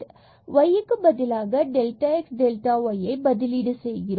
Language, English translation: Tamil, So, x y will be replaced by delta x delta y term is there